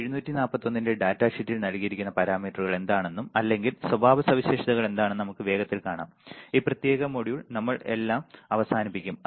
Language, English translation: Malayalam, Let us quickly see once again what are the day, what is what are the parameters or the characteristics given in the data sheet of LM741 and we will end this particular module all right